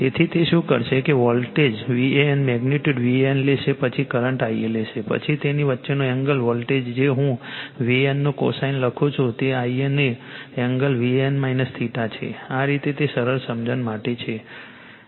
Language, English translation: Gujarati, So, it will what it will do that voltage V A N magnitude will take V A N then you will take the current I a , then angle between this , voltage that is your I write cosine of theta V A N that is the angle of V A N , minus theta of I a right, this way it is written just for easy understanding right